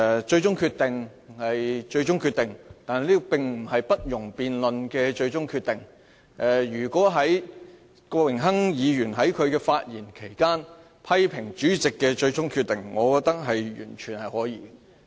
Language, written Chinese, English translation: Cantonese, 最終決定是最終決定，但並不是不容辯論的最終決定，如果郭榮鏗議員在發言期間批評主席的最終決定，我認為完全可以。, A final decision means that a decision is final . But this does not mean that it cannot be debated . In my view it is totally alright for Mr Dennis KWOK to criticize the Presidents final decision in his speech